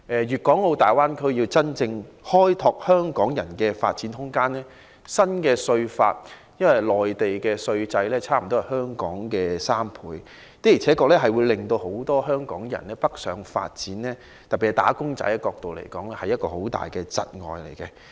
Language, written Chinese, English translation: Cantonese, 粵港澳大灣區如要真正開拓香港人的發展空間，新稅法影響甚大，因為內地徵收的稅款差不多是香港的3倍，對很多希望北上發展的香港人，特別是"打工仔"造成很大的窒礙。, If the Greater Bay Area genuinely wants to attract Hong Kong people to go there for development the new tax law has great implication . The reason is that the tax collected by the Mainland is nearly three times the tax collected in Hong Kong which is a major obstacle to many Hong Kong people especially wage earners who wish to go northward for development